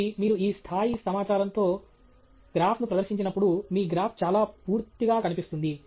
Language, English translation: Telugu, So, when you present a graph with this level of information, your graph is quite complete okay